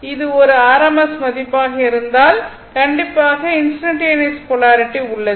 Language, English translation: Tamil, If it is a rms value, and of course instantaneous polarity is there